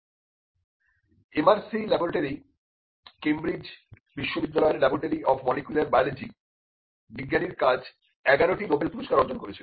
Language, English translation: Bengali, The MRC Laboratory of Molecular Biology, which is in the University of Cambridge, the work of the scientist has attracted 11 Nobel prizes